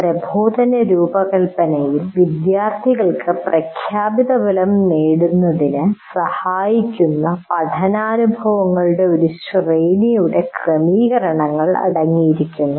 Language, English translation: Malayalam, Instruction design consists of arranging a series of learning experiences that facilitate the students to acquire or attain certain outcome